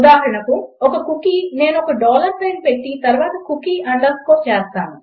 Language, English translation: Telugu, For example a cookie ,Ill put a dollar sign then underscore cookie